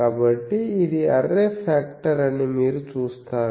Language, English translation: Telugu, So, you see this is the array factor